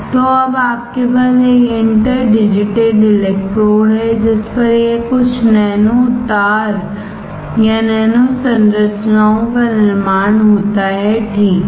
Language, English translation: Hindi, So, now what you have is an interdigitated electrodes on which this some nano wires or nano structures are formed, alright